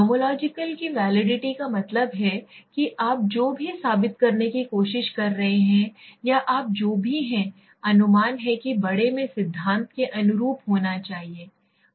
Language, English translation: Hindi, Nomological validity means that whatever you are trying to prove or whatever you infer that should be corresponding to the theory in large